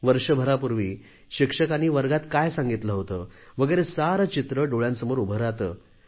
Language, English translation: Marathi, A year ago, what the teacher had taught in the classroom, the whole scenario reappears in front of you